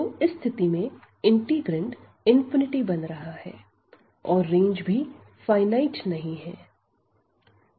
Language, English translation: Hindi, So, in this case the integrand is also becoming infinity and the range is also not finite